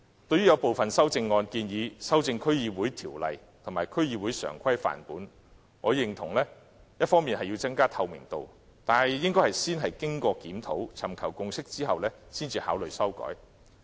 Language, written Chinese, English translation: Cantonese, 對有部分修正案建議修改《區議會條例》及《區議會常規範本》，我認同要增加透明度，但應先經檢討，尋求共識後才考慮修改。, Amendments made by some Members propose amendments to the District Councils Ordinance and the District Council Standing Orders . I agree with increasing transparency but consideration of this should be made only after a review is conducted and a consensus sought